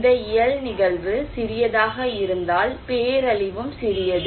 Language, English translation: Tamil, If this physical event is small, disaster is also small